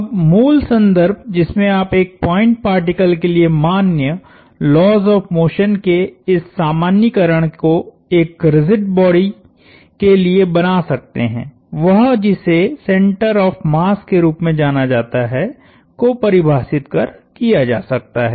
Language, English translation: Hindi, Now, basic context in which you can make this generalization of the laws of motion valid for a point particle to a rigid body is by defining what is known as the center of mass